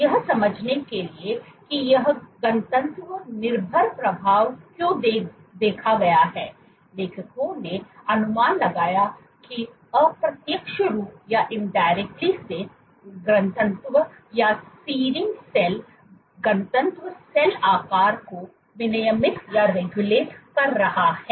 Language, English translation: Hindi, So, to understand why this density dependent effect was observed the authors speculated that indirectly density or seeding cell density is regulating cell shape